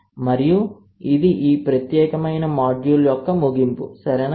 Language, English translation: Telugu, And this is the end of this particular module, right